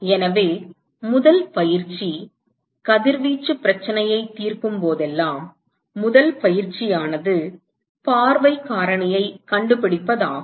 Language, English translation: Tamil, So, the first exercise, whenever you get a radiation problem to be solved, the first exercise is to find the view factor